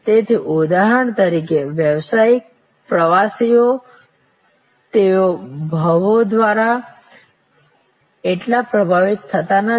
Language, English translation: Gujarati, So, business travelers for example, they are not so much affected by pricing